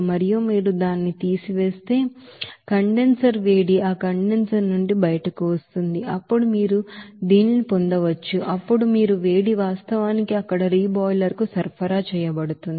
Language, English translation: Telugu, And if you subtract that, you know, condenser heat what is coming out from that condenser, then you can get this what will be the heat is actually supplied to the reboiler there